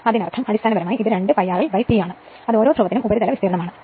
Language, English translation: Malayalam, That means, basically it is basically 2 pi r l by P that is surface area per pole right